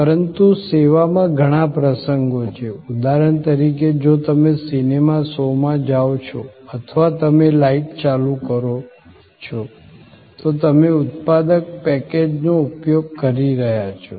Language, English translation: Gujarati, But, in service, there are number of occasions, for example, if you go to a movie show or you switch on your light, you are using a productive package